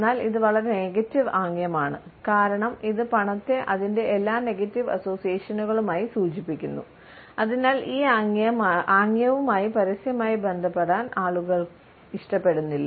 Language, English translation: Malayalam, But this is a highly negative gesture, because it indicates money with all its negative associations and therefore, people do not like to be associated with this gesture in a public manner